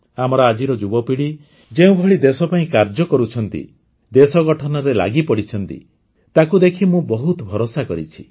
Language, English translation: Odia, The way our youth of today are working for the country, and have joined nation building, makes me filled with confidence